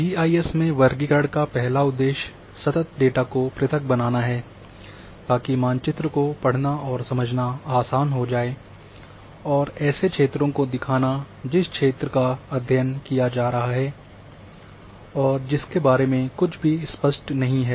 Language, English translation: Hindi, The purpose of classification in GIS is first, to make the continuous data into discrete data, so that it becomes easier for reading and understanding a map and to show something about the area which is being studied that is not self evident